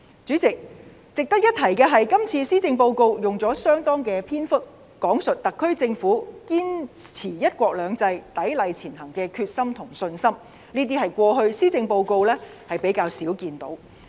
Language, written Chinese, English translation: Cantonese, 主席，值得一提的是，這次施政報告用了相當的篇幅講述特區政府堅持"一國兩制"，砥礪前行的決心和信心，這些是過去施政報告較少看到的。, President it is worth noting that this time around the Policy Address devoted a large portion to an account of the determination and confidence of the SAR Government to uphold one country two systems and to strive ahead with perseverance which was rarely seen in past policy addresses